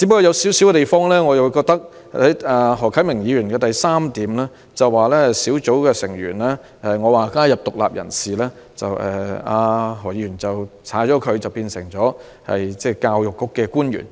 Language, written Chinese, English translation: Cantonese, 然而，我在原議案的第三項建議"小組成員應加入獨立人士"，但何議員的修正案卻刪除了"獨立人士"並改為"教育局官員"。, I propose in item 3 of my original motion that the panel should include independent persons in its membership . However Mr HOs amendment deleted independent persons and substituted officials of the Education Bureau